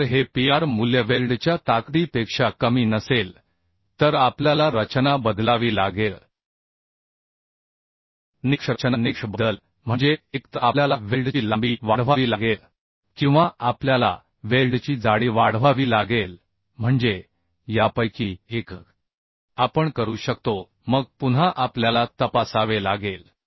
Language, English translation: Marathi, So if this Pr value is not less than the weld strength then we have to change the design criteria design criteria change means either we have to increase the length of the weld or we have to increase the thickness of the weld means size of the weld